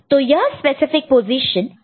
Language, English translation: Hindi, So, what are those specific positions